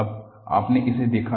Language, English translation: Hindi, Now, you have seen it